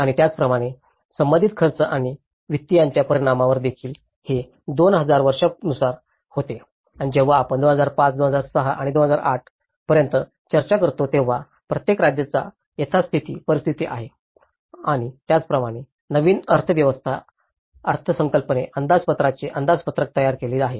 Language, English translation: Marathi, And similarly, on the impact of Tsunami related expenditures and finances, it also goes from the 2000 year wise and when we talk about 2005, that is 2006 to 2008 there is a projection that each state has status quo scenario and as well as the new scenario and that is how the budget estimates are prepared by the economist